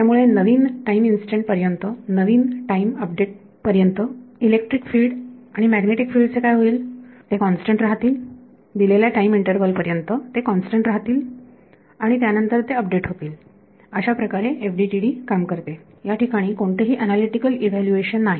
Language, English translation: Marathi, So, until the next time instant until a next time update what happens to the electric fields and magnetic fields they remain constant right for a given time interval their constant and then they get updated, that is how FDTD works there is no analytical evolution